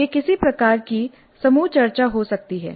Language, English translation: Hindi, It can be some kind of a group discussion